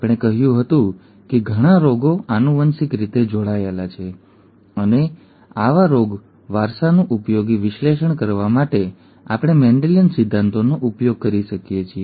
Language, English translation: Gujarati, We said that many diseases are genetically linked and to usefully analyse such disease inheritance, we could use Mendelian principles